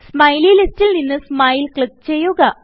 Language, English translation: Malayalam, From the Smiley list, click Smile